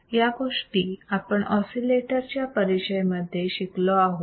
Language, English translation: Marathi, So, these things we have learned in the introduction to the oscillators